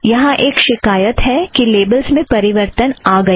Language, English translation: Hindi, There is a complaint saying that labels have changed